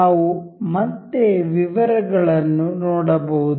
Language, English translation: Kannada, We can see the a details again